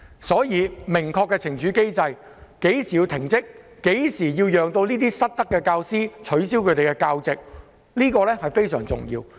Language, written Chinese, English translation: Cantonese, 因此，制訂明確的懲處機制，訂明在甚麼情況下須要求失德的教師停職或取消其教席，這一點非常重要。, Therefore it is very important to set up a clear punishment mechanism and set out precisely the circumstances under which the misconduct of teachers warrant their suspension from work or dismissal